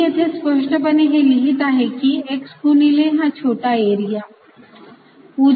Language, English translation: Marathi, i'll write x clearly times this small area